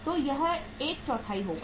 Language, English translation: Hindi, So this will be 1 by 4